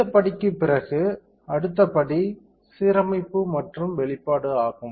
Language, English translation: Tamil, After this step the next step would be alignment and exposure